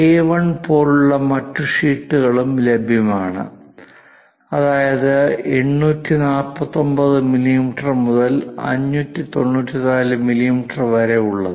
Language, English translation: Malayalam, There are other sheets are also available A1 849 millimeters by 594 millimeters